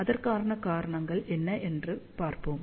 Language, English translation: Tamil, So, let us see what are the reasons for that